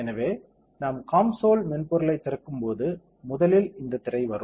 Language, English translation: Tamil, So, as and when we open up the COMSOL software first thing that comes up is this screen